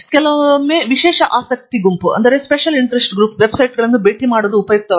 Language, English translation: Kannada, Sometimes it is also very useful to visit special interest group websites